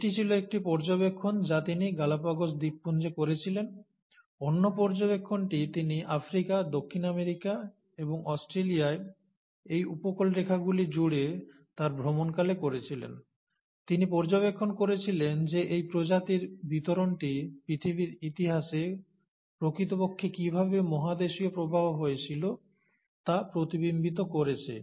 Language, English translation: Bengali, So that was one observation that he made on the Galapagos Islands, the other observation that he made during his voyage across these coastlines of Africa, Southern America, and Australia, was that he observed that the distribution of these species was mirroring how the continental drift actually happened in the earth’s history